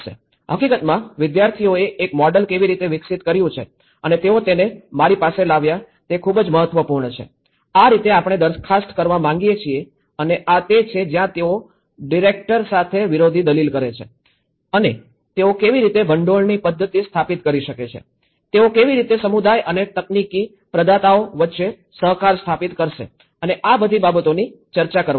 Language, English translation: Gujarati, In fact, as a very important to see how even students have developed a model and brought to me that this is how we want to propose and this is where they counter argue with the director and how they can establish the funding mechanism, how they will establish the co operative between community and the technical providers you know, this is all things have been discussed